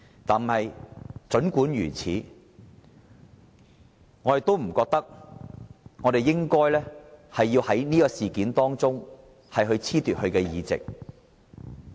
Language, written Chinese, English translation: Cantonese, 但儘管如此，我們不認為我們應該因此事而褫奪他的議席。, Nevertheless we do not hold that we should strip him of his seat because of this incident